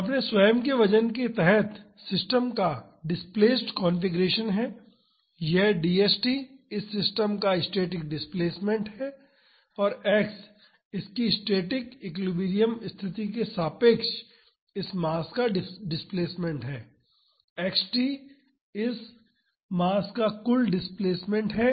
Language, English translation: Hindi, So, the displaced configuration of the system under its own weight is this, d st is the static displacement of this system and X is the displacement of this mass relative to its static equilibrium position, X t is the total displacement of this mass